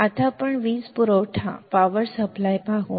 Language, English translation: Marathi, Now, let us see power supply